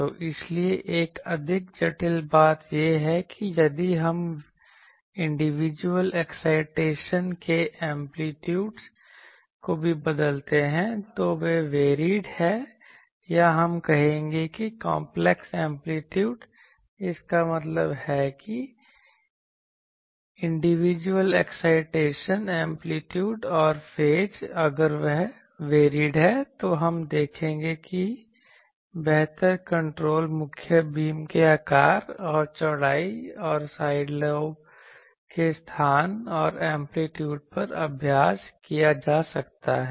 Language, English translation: Hindi, So, that is why the a more complicated thing is if we also change the individual excitation amplitudes they are varied or we will say that complex amplitude; that means, the individual excitation amplitude and phase if that is varied, then we have we will see that for better control can be exercised on the shape and width of the main beam and on the location and amplitudes of the side lobe